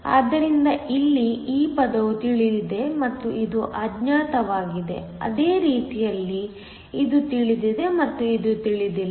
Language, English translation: Kannada, So, Here this term is known and this is the unknown, same way here this is known and this is the unknown